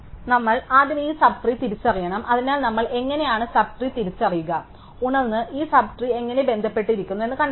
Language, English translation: Malayalam, So, we have to first identify this sub tree, so how do we identify the sub tree, will be walk up and find out how this sub tree is connected